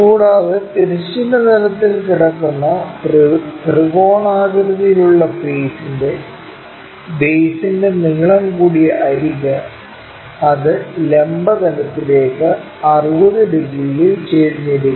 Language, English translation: Malayalam, Further, the longer edge of the base of the triangular face lying on horizontal plane and it is inclined at 60 degrees to vertical plane